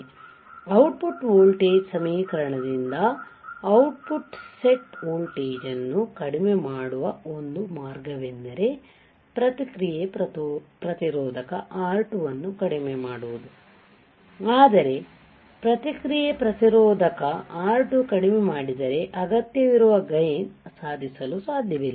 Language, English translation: Kannada, So, it can be seen from the output voltage expression that a way to decrease the output offset voltage is by minimizing the feedback resistor R2, but decreasing the feedback resistor R2 required gain cannot be achieved right